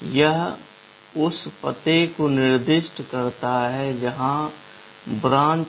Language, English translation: Hindi, It specifies the address where to branch